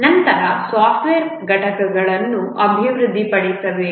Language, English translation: Kannada, The different software components must be delivered